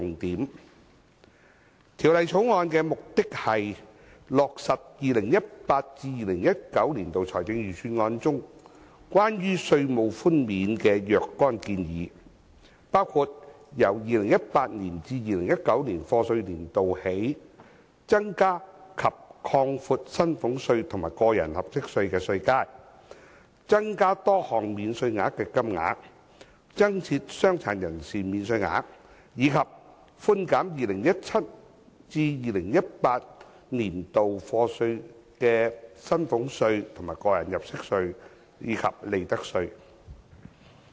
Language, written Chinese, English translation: Cantonese, 《2018年稅務條例草案》的目的，是落實 2018-2019 年度財政預算案中關於稅務寬免的若干建議，包括由 2018-2019 課稅年度起，增加及擴闊薪俸稅和個人入息課稅的稅階、增加多項免稅額的金額、增設傷殘人士免稅額，以及寬減 2017-2018 課稅年度的薪俸稅、個人入息課稅及利得稅。, The Inland Revenue Amendment Bill 2018 the Bill aims to implement various proposals concerning tax concessions in the 2018 - 2019 Budget including starting from the year of assessment 2018 - 2019 increasing and widening the tax bands for salaries tax and tax under personal assessment increasing various allowances and introducing a personal disability allowance as well as reducing salaries tax tax under personal assessment and profits tax for the year of assessment 2017 - 2018